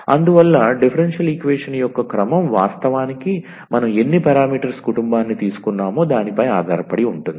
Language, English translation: Telugu, So, the order of the differential equation will be dependent actually how many parameter family we have taken